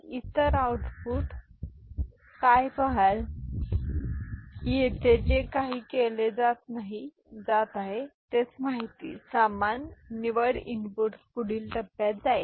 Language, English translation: Marathi, And what the other output you see that whatever is being done here same information, same select input is going to the next stage